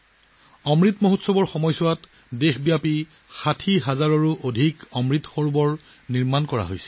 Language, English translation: Assamese, During the Amrit Mahotsav, more than 60 thousand Amrit Sarovars have also been created across the country